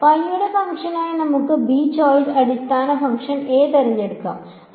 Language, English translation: Malayalam, Let us not choose b choose basis function a as the function of y